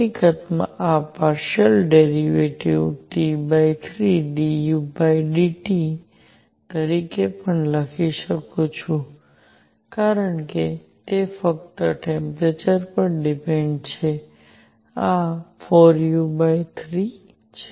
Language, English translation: Gujarati, In fact, this partial derivative I can even write as T by 3 d u by d T because it depends only on the temperature this 4 u by 3